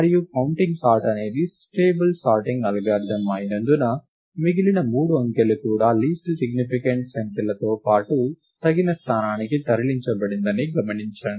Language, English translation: Telugu, And because counting sort was a stable sorting algorithm, observe that, the remaining two digits have also been moved to the appropriate location along with the least significant digit